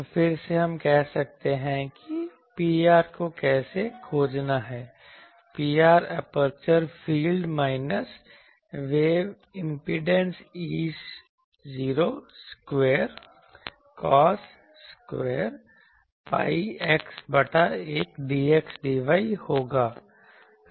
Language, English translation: Hindi, So, again we can say that how to find P r so, P r will be again from the aperture field minus wave impedance E not square cos square pi x by a dx dy